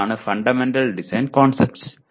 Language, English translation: Malayalam, That is what fundamental design concepts